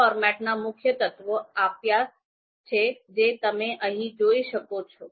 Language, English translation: Gujarati, They have given the you know main elements of this format that you can see here